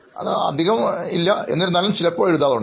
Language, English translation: Malayalam, It is very less but yes, I do sometimes